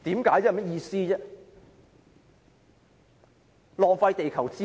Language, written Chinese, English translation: Cantonese, 根本在浪費地球資源。, It is a sheer waste of the global resources